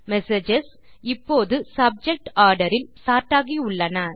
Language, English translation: Tamil, The messages are sorted by Subject now